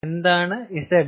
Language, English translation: Malayalam, value of z